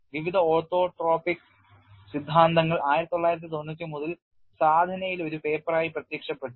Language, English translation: Malayalam, This has been achieved and the various photo orthotropic theories have appeared as a paper in Sadhana in 1993